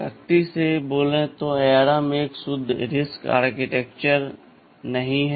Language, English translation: Hindi, But strictly speaking ARM is not a pure RISC aArchitecture